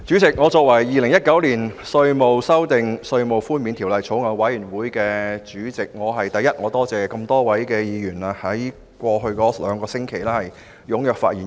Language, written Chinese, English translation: Cantonese, 主席，作為《2019年稅務條例草案》委員會主席，我首先感謝這麼多位議員在過去兩星期踴躍發言。, President as the Chairman of the Bills Committee on Inland Revenue Amendment Bill 2019 I would like to first thank a number of Members for speaking actively over the past two weeks